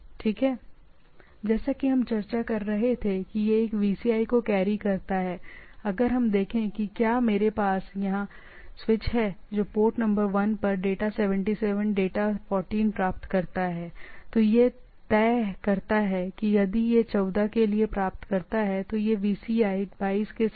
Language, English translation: Hindi, So, as we were discussing that it carries a VCI so, if we see if I have a switch here which receives a data 77 data 14 at port number 1, then it decides that if it receive 14 for one it will push it to port number 3 with a VCI 22